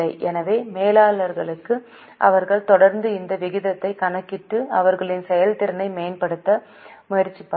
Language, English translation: Tamil, So, for managers, they would continuously calculate this ratio and try to improve their performance